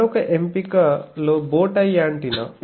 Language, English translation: Telugu, Another option is bowtie antenna